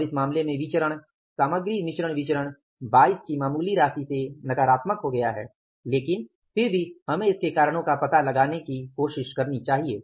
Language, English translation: Hindi, And in this case, the variance material mix variance has become negative by a marginal amount of 22 adverse but still we should try to find out the reasons for that